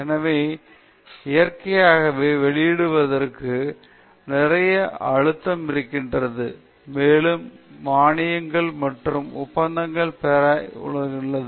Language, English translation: Tamil, So, naturally, there is a lot of pressure to publish and also to obtain grants and contracts